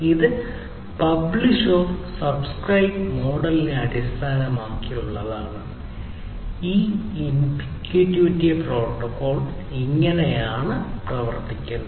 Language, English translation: Malayalam, So, this is overall based on publish/subscribe model and this is how this MQTT protocol essentially works